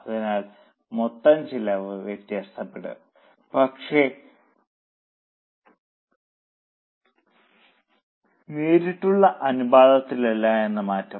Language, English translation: Malayalam, So, total cost will vary but not in the direct proportion